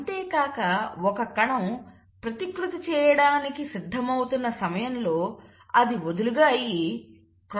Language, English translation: Telugu, And around the time that the cell is getting ready to replicate, it loosens up and it exists as a chromatin